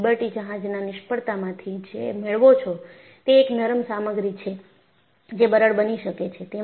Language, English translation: Gujarati, So, what you find from a Liberty ship failure is, a ductile material can become brittle